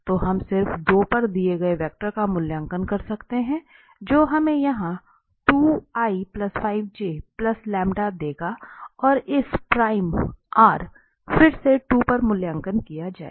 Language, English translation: Hindi, So, we can just evaluate the given vector at 2, which will give us here 2 plus 5j plus this lambda and this r prime again evaluated at 2